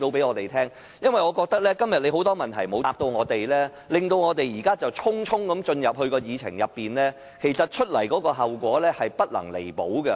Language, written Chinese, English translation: Cantonese, 我認為，主席今天對我們的很多問題都未有回答，匆匆進入這個議程項目的討論，後果將不能彌補。, In my view President you have failed to answer many of our questions today . If we rush into discussing this agenda item the consequence will be irreparable